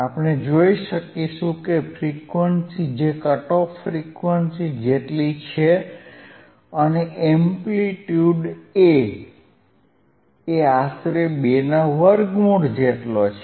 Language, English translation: Gujarati, wWe will be able to see that a frequency that is equal to cut off frequency, amplitude is about A by square root of 2, A by square root of 2